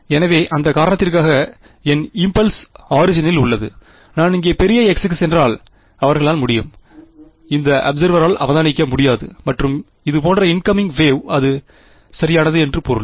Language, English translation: Tamil, So, for that reason because my impulse is at the origin; they can if I am stand going to large x over here this observer cannot possibly observe and incoming wave like this, that is what it would mean right